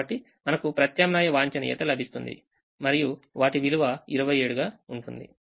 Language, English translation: Telugu, so we would get alternate optimum and all of them having twenty seven as the value